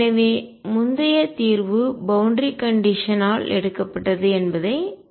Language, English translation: Tamil, So, recall that earlier the solution was picked by boundary condition